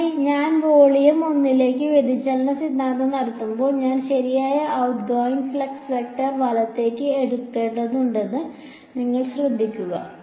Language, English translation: Malayalam, But when I am doing the divergence theorem to volume 1, you notice that I have to take the correct out going flux vector right